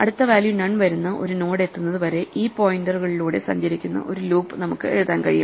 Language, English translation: Malayalam, We can write a loop which keeps traversing these pointers until we reach a node whose next is none